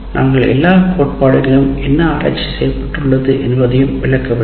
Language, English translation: Tamil, We are not explaining all the theory and what research has been done and all that